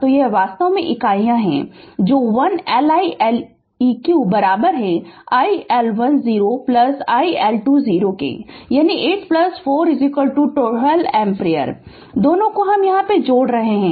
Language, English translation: Hindi, So, this is actually units that is l iLeq is equal to iL10 plus iL20 that is 8 plus 4 is equal to 12 ampere both we are adding